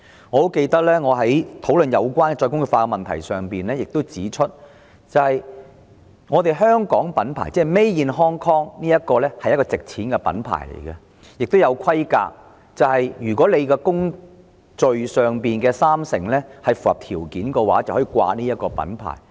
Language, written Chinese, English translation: Cantonese, 我記得我在討論再工業化議題時指出，香港品牌即 Made in Hong Kong 是一個值錢的品牌，亦要符合一定規格，要求三成工序在港進行才可使用這個品牌。, I recall that when I discussed the issue of re - industrialization I pointed out that Made in Hong Kong used to be a brand with value and products were allowed to bear such a mark only if they met certain requirements stipulating that 30 % of the manufacturing process had been carried out in Hong Kong